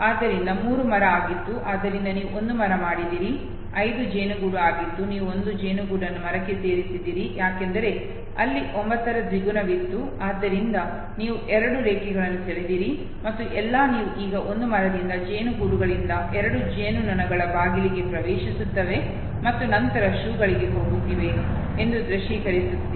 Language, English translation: Kannada, So 3 was tree, so you have made a tree, 5 was hive you have added a hive to the tree okay, because there was double 9 therefore, you have drawn two lines and all you are now visualizing it that from a tree, 2 bees from the hives they are entering to the door and then going to shoe